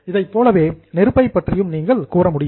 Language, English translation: Tamil, Same way you can also say about fire